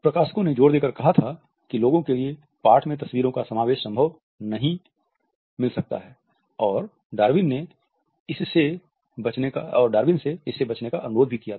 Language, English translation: Hindi, The publication house as well as the publishers had insisted that people may not receive the inclusion of photographs in the text and had requested Darwin to avoid it